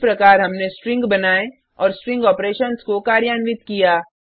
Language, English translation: Hindi, This is how we create strings and perform string operations